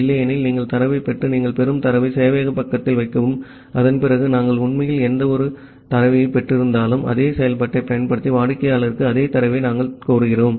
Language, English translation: Tamil, Otherwise you get the data and put in that data that you are receiving at the server side and after that we are actually whatever data we have received, we are requiring same data to the client by using this same function ok